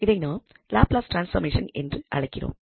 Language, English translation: Tamil, And now we will focus on Laplace transform again